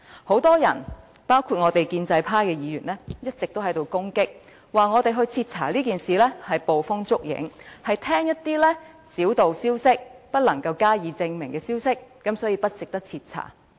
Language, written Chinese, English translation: Cantonese, 很多人包括建制派議員一直都在攻擊，指要求徹查此事是捕風捉影，只是聽信一些小道消息、不能證實的消息，所以不值得徹查。, Many people including pro - establishment Members have been criticizing us severely for demanding a thorough investigation of the incident . In their opinion it is not worth the trouble to carry out a thorough investigation because these are just groundless accusations made on hearsay statements and unsubstantiated rumours